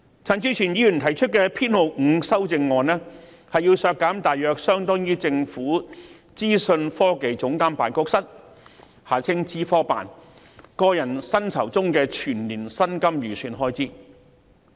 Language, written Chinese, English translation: Cantonese, 陳志全議員提出第5號修正案，要求削減大約相當於政府資訊科技總監辦公室個人薪酬中的全年薪金預算開支。, Mr CHAN Chi - chuen has proposed Amendment No . 5 which seeks to reduce an amount roughly equivalent to the estimated expenditure on the annual personal emoluments for the Office of the Government Chief Information Officer OGCIO